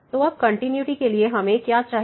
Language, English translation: Hindi, So, now for the continuity what do we need